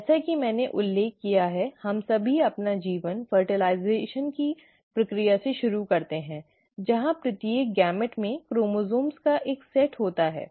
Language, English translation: Hindi, As I mentioned, we all start our life through the process of fertilization where each gamete has one set of chromosomes